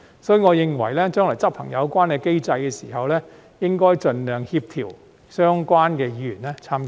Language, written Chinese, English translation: Cantonese, 所以，我認為將來執行有關機制的時候，應該盡量協調相關的議員參加。, Therefore I think when the mechanism is implemented in the future there should be coordination for the participation of the relevant Members as far as possible